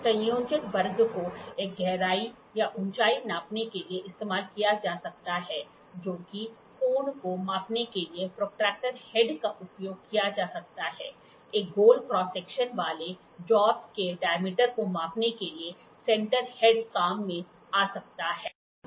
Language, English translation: Hindi, The combination square can be used as a depth or a height gauge the protractor head can be used for measuring angle, the centre head can be comes in handy for measuring diameter of the job having a circular cross section